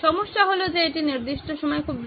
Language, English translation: Bengali, The problem is that it is too fast at that particular time